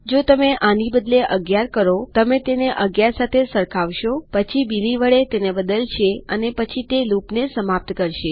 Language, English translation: Gujarati, If you change this to 11, youll compare it to 11, then change it to Billy and then itll end the loop